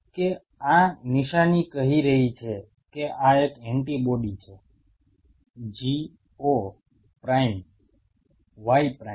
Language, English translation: Gujarati, That this sign is saying that this is an antibody G o prime Y prime